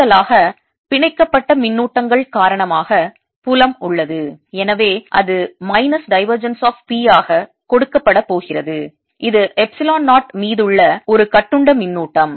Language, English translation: Tamil, additionally, there is field due to the bound charges, so that's going to be given as minus divergence of p, that is, a bound charge over epsilon zero